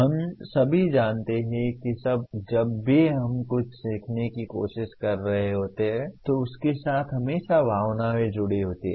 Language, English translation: Hindi, We all know whenever we are trying to learn something, there are always feelings automatically associated with that